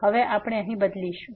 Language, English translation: Gujarati, Now we will substitute here